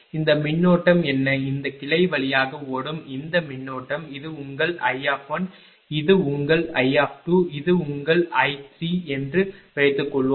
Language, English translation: Tamil, So, then what is this current what is this current flowing through this branch suppose this is your I 1, this is your I 2, and this is your I 3